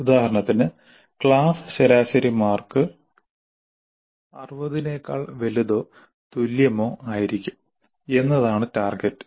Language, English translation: Malayalam, For example, the target can be that the class average marks will be greater than are equal to 60